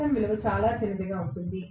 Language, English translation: Telugu, Xm value will be smaller